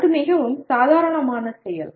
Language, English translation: Tamil, That is a very normal process